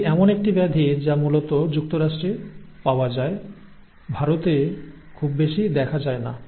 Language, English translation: Bengali, So it is one such disorder which is predominantly found in the US, not much in India